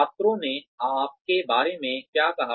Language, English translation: Hindi, What did the students say about you